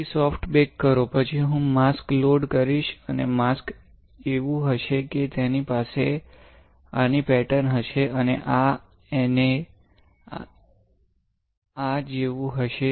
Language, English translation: Gujarati, Then performs soft bake, then I will load a mask; and the mask will be such that, it will have a pattern like this and like this and this